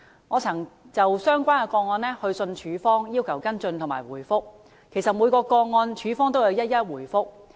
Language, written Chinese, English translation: Cantonese, 我曾就相關個案致函署方，要求跟進及回覆，署方就每宗個案一一回覆。, I have written to CSD concerning these cases and requested the department to follow up and give me a response . CSD has responded in connection with each individual case